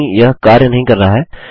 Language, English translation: Hindi, No, its not working